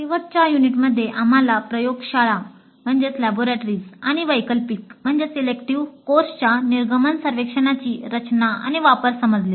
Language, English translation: Marathi, In the last unit, we understood the design and use of laboratory and elective course exit surveys